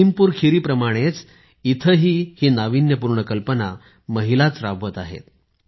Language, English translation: Marathi, Like Lakhimpur Kheri, here too, women are leading this innovative idea